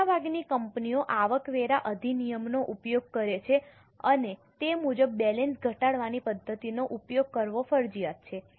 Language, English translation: Gujarati, Most of the companies use it and as per incomecome Tax Act it is mandatory to use reducing balance method